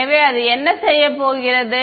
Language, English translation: Tamil, So, what is that going to be